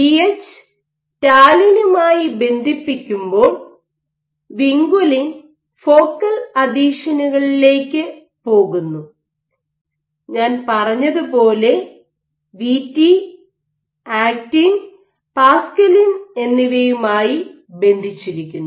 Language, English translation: Malayalam, Now, binding of Vh, When Vh binds to talin this event leads to recruitment of vinculin to focal adhesions and Vt as I said binds to actin and paxillin